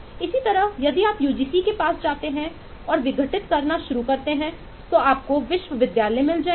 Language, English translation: Hindi, similarly, if you go to uGu and start decomposing that, you will find universities